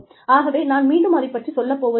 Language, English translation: Tamil, So, I will not go into it, again